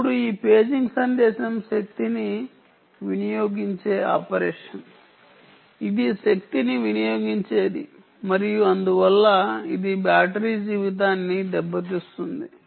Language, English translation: Telugu, now this paging message is a power consuming operation, its power consuming and therefore it takes a beating on the battery life